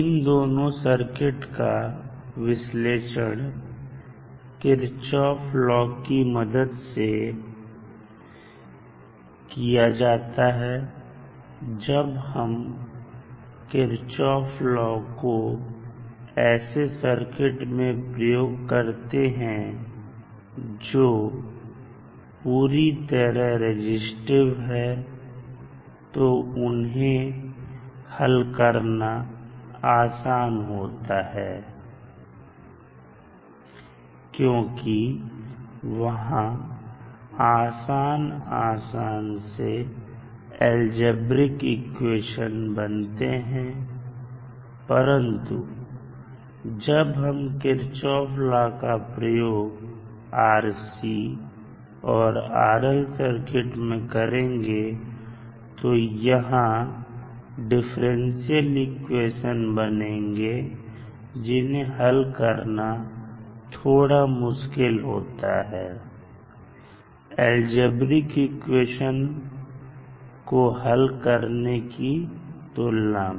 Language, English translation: Hindi, Now, the analysis of this RC and RL circuits, are is done by, applying the kirchhoffs law as we did for the resistive circuits, now applying kirchhoffs law to a purely resistive circuit is simple because it gives an algebraic equation which is easier to solve, now when we apply the same law for RC and RL circuits, it produces a differential equation, it would be little bit difficult to solve when compare with the algebraic equation which we get, when we solve the resistive circuits using kirchhoffs law